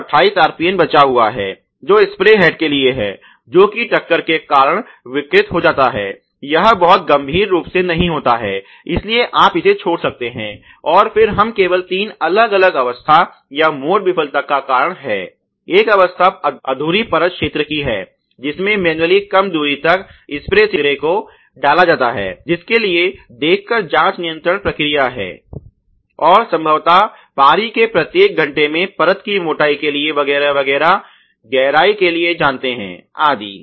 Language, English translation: Hindi, So, the 28 you know RPN is left over which is corresponding to the spray head deformed due to impact it does not happen very severely or it does not happen many times you know, so you can leave it impact and then we only talk about three different aspects or modes causing this failure of incomplete coverage one aspects is related to the manually inserted spray head not inserted far enough for which the processes control has been a visual check and probably a each hour once in a shift you know for the film thickness depth etcetera